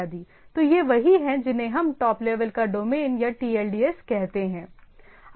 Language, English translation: Hindi, So these are what we say top level domain, so or TLDs